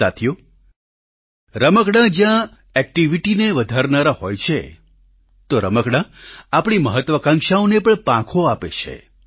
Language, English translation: Gujarati, Friends, whereas toys augment activity, they also give flight to our aspirations